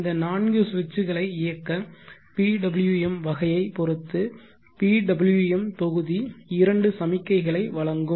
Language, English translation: Tamil, The PWM module will give two signals depending upon the type of the PWM which will be used for driving these four switches